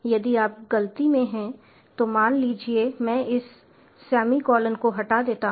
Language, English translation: Hindi, if you are in error, suppose i delete this semicolon